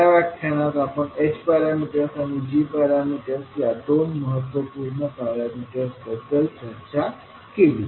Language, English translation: Marathi, In this session we discussed about two important parameters which were h parameters and g parameters